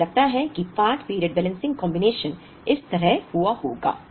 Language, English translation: Hindi, I think in part period balancing the combination happened like this